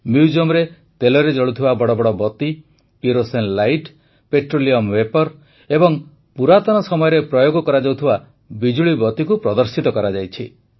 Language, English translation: Odia, Giant wicks of oil lamps, kerosene lights, petroleum vapour, and electric lamps that were used in olden times are exhibited at the museum